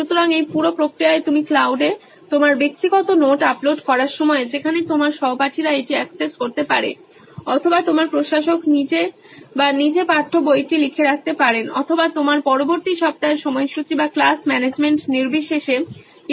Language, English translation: Bengali, So in this entire process while you uploading your personal notes into the cloud where your classmates can access it or your administrator himself or herself putting in the text book or sharing your next week’s timetable or anything irrespective of class management